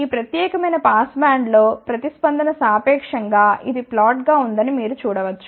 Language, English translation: Telugu, You can see that relatively it is a flat response in this particular pass band